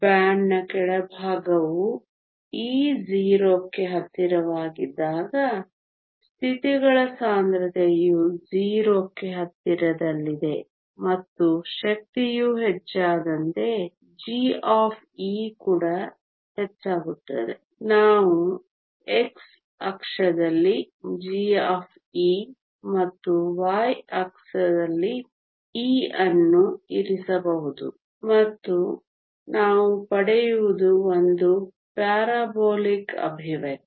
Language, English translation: Kannada, The bottom of the band when e is very close to 0 the density of states is close to 0 and as the energy increases g of e also increases, we can plot g of e on the x axis and e on the y axis and what we get is a parabolic expression